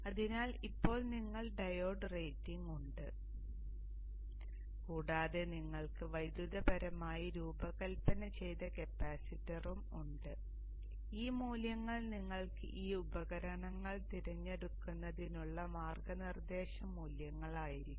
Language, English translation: Malayalam, So like this now you have the diode rating and you also have the capacitor electrically designed and these values can be your guiding values for you to choose these devices